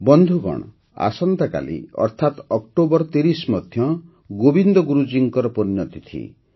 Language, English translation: Odia, the 30th of October is also the death anniversary of Govind Guru Ji